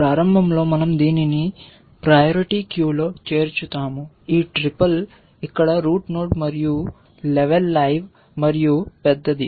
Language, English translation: Telugu, Initially we insert this into the priority queue, this triple where the root node and level it live and plus large